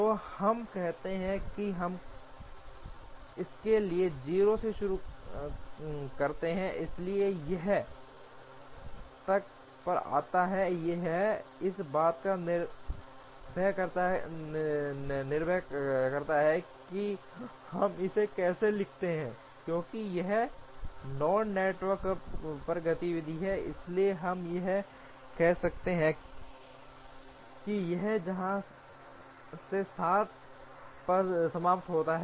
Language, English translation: Hindi, So, let us say we start with 0 for this, so this comes at 7 it depends on how we write it, because it is activity on node network, so we could say that this one finishes at 7 from here